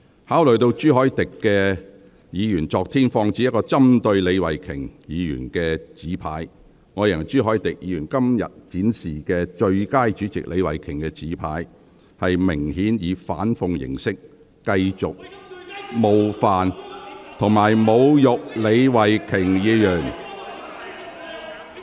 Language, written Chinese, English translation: Cantonese, 考慮到朱凱廸議員昨天曾放置一個針對李慧琼議員的紙牌，我認為朱凱廸議員今天展示寫有"最佳主席李慧琼"字句的紙牌，明顯是以反諷形式繼續冒犯及侮辱李慧琼議員。, Considering the fact that Mr CHU Hoi - dick placed a placard to target Ms Starry LEE yesterday I consider that Mr CHU Hoi - dick who displayed a placard today reading Best Chairman Starry LEE obviously attempts to continue to offend and insult Ms Starry LEE in an ironic way